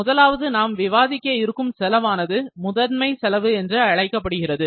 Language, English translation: Tamil, Very first cost, that I would like to discuss is, prime cost